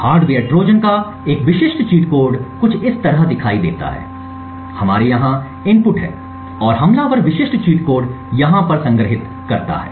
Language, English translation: Hindi, A typical cheat code type of hardware Trojan would look something like this we have a input over here and the attackers specific cheat code is stored over here